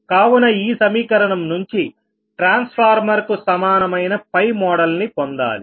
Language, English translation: Telugu, now we have to obtain from this equation an equivalent time model for the transformer, right